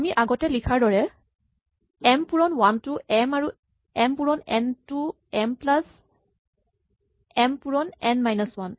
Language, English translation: Assamese, Again we had written that before as m times 1 is n and m times n is m plus m time n minus 1